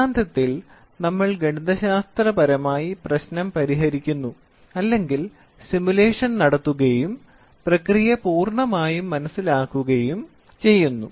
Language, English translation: Malayalam, Theory is we mathematically solve the problem the mathematically we solve the problem or we do simulation and understand the process completely